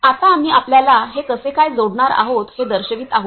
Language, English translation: Marathi, Now, we are going to show you what, how we are going to connect it